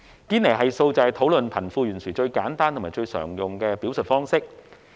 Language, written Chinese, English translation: Cantonese, 堅尼系數是討論貧富懸殊最簡單及最常用的表述方式。, The Gini Coefficient is the simplest and the most commonly used indicator in the discussion of the disparity between the rich and the poor